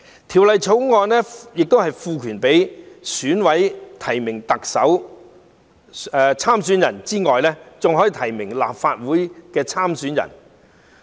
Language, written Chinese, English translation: Cantonese, 《條例草案》賦權選舉委員會委員提名特首參選人之外，還可以提名立法會參選人。, The Bill empowers members of the Election Committee to nominate candidates for the Legislative Council election in addition to those for the Chief Executive election